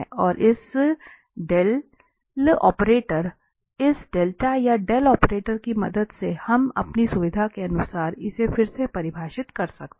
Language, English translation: Hindi, And with the help of this nabla or Del operator we can again define this for our convenience